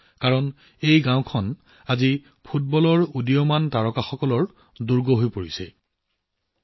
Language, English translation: Assamese, 'Mini Brazil', since, today this village has become a stronghold of the rising stars of football